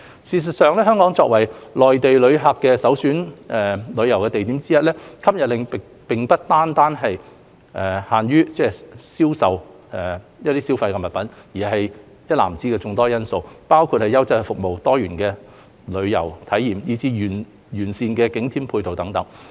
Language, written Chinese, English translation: Cantonese, 事實上，香港作為內地旅客旅遊首選地之一，吸引力並非單單限於銷售消費貨品，而是一籃子的眾多因素，包括優質服務、多元化的旅遊體驗，以至完善的景點配套等。, In fact as one of the premier tourism destinations for Mainland travellers the attractiveness of Hong Kong is not solely established on selling consumer goods but also on a host of various factors including quality service diversified travel experiences as well as the well - developed supporting facilities for tourism attractions